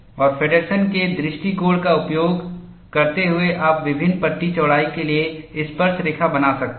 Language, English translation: Hindi, And using the Feddersen’s approach, you can draw tangents for different panel widths